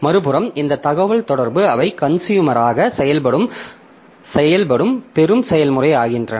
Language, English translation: Tamil, On the other hand, this communications, the receiving process that acts as the consumer